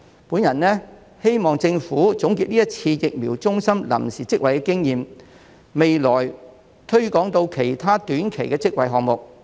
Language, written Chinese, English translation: Cantonese, 我希望政府總結這次疫苗中心臨時職位的經驗，並在未來推廣至其他短期職位項目。, I hope that the Government will sum up the experience from the provision of temporary jobs in vaccination centres and apply it to other short - term job projects in the future